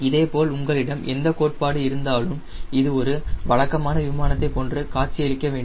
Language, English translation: Tamil, similarly, whatever theory you have, conventionally, you should look like a conventional aeroplane, right